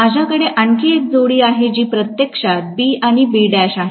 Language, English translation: Marathi, I am going to have one more pair which is actually B and B dash